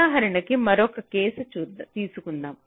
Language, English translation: Telugu, lets take another case